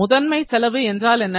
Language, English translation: Tamil, So, what is prime cost